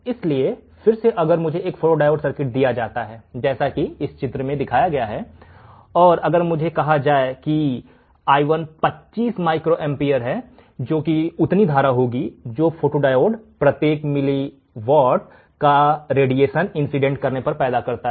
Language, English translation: Hindi, So, again if I am given a photodiode circuit as shown in figure, and if I am told that i1 equals to 25 microampere that is the amount of current that the photodiode generates per milliwatt of incident radiation